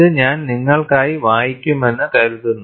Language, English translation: Malayalam, I think, I would read this for you